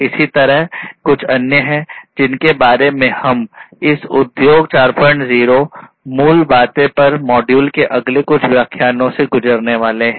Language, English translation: Hindi, Likewise, there are different other ones which we are going to go through in the next few lectures of this module on Industry 4